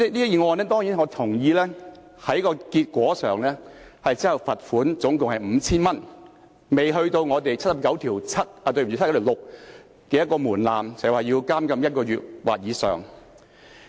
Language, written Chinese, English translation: Cantonese, 代理主席，當然，我同意這宗案件在結果上只罰款總共 5,000 元，未達到《基本法》第七十九條第六項的門檻，即監禁1個月或以上。, Deputy President the Member involved in this case was ultimately fined 5,000 . I certainly agree that the penalty does not meet the threshold stipulated in Article 796 of the Basic Law that is imprisonment for one month or more